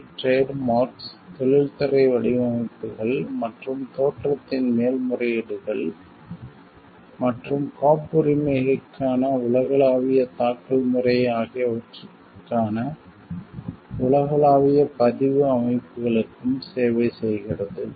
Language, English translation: Tamil, It also services global registration systems for trademarks, industrial designs and appellations of origin, and global filing system for patents